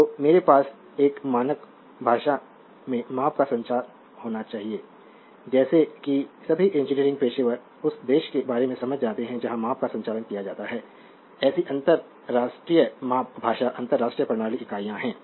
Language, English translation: Hindi, So; however, I have measurement must be communicated in a standard language, such that all engineering professionals can understand irrespective of the country where the measurement is conducted such an international measurement language is the international system units